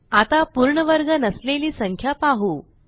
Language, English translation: Marathi, Let us try with a number which is not a perfect square